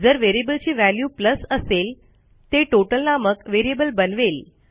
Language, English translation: Marathi, If it equals to a plus then we will create a new variable called total